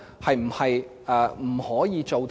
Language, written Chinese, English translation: Cantonese, 是否不可以做到呢？, Is it impossible to do that?